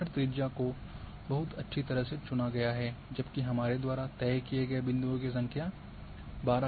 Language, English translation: Hindi, The search radius is chosen is very well, whereas number of points we have fixed is 12